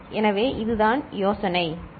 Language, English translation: Tamil, So, this is the idea, ok